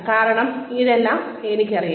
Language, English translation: Malayalam, Because, I already know, all that